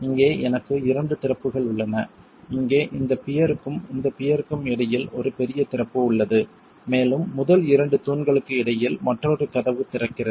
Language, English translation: Tamil, There's one large opening at the end between this pier and this peer here and another door opening between the first two peers